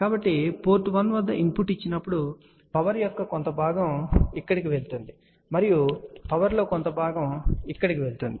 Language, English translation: Telugu, So, when we give the input at port 1 part of the power will go here and part of the power will go here